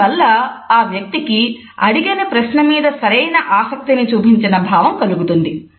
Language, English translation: Telugu, These suggestions help a person to think that you are genuinely interested in the question which has been asked